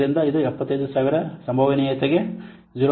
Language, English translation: Kannada, So this will have much 75,000 into probability 0